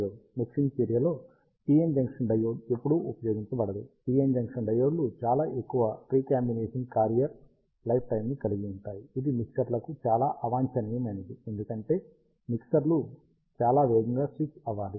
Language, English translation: Telugu, Unlike in most of the operations a PN junction diode is never used in mixing action, ah for the reason that the PN junction diodes have very long recombination carrier lifetimes, which is quite undesired for mixers, because mixers have to be switched very fast